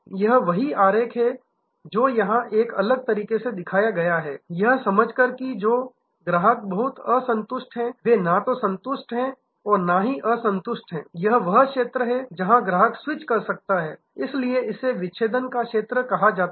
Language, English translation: Hindi, That is the same diagram shown here in a different manner that understanding that customers who are between the very dissatisfied to neither satisfied, nor dissatisfied this is the zone where the customer may switch, so this is called the zone of defection